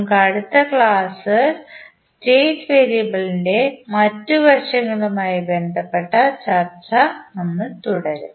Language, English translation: Malayalam, We will continue our discussion related to other aspects of state variable in our next lecture